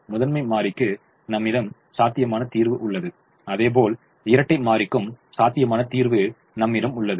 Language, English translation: Tamil, i have a feasible solution to the primal, i have a feasible solution to the dual